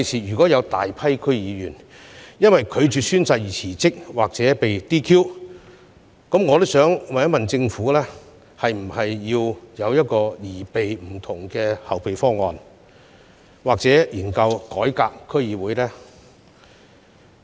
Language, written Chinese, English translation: Cantonese, 如果未來有大批區議員因為拒絕宣誓而辭職或被 "DQ"， 政府會否擬備不同的後備方案，或研究改革區議會制度？, If it turns out that a large number of DC members will resign or DQ for refusal to take oath will the Government formulate any contingency plans to deal with this situation or study how the DC system should be reformed?